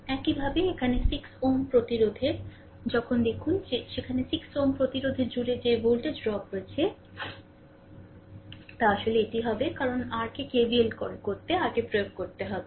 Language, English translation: Bengali, Similarly, here in this 6 ohm resistance 6 ohm resistance when you see that there what is that voltage drop across 6 ohm resistance it will be actually because we have to apply your what we call that your KVL